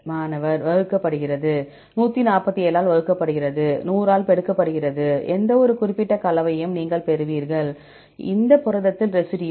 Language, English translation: Tamil, Divided by 147 multiplied by 100; right you will get the composition of any specific residue in this protein